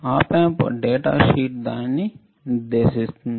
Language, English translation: Telugu, The op amp data sheet specifies it